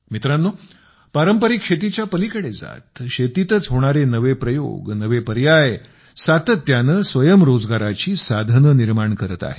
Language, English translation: Marathi, moving beyond traditional farming, novel initiatives and options are being done in agriculture and are continuously creating new means of selfemployment